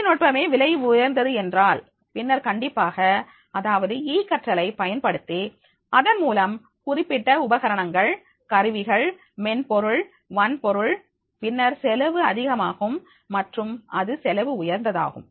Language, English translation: Tamil, If the technology itself is costly then definitely that is the use of e learning through that particular equipment, instruments, software, hardware, so then then it will increase in the cost and it becomes costly